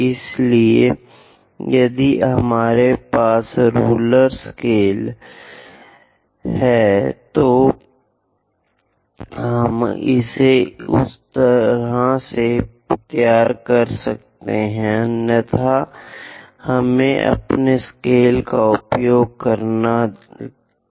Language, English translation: Hindi, So, if we have a rule scale, ruler scale, we we could have drawn it in that way; otherwise, let us use our scale